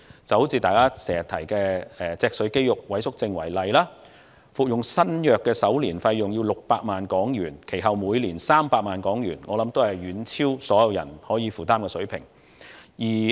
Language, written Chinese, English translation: Cantonese, 就像大家經常提及的脊髓肌肉萎縮症為例，服用新藥的首年費用為600萬港元，其後每年300萬港元，我想這是遠超大部分市民可以負擔的水平。, We shall take Spinal Muscular Atrophy SMA often mentioned by Members as an example . The cost of new SMA drugs for the first year is HK6 million and then HK3 million per year for subsequent years . I think this level far exceeds the affordability of most members of the public